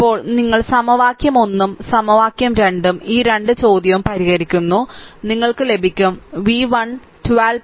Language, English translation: Malayalam, Now solve you what you call you solve equation 1 and equation 2 this 2 question, we solve you will get v 1 is equal to 13